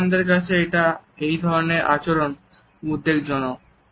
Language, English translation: Bengali, The Germans find such behaviors alarming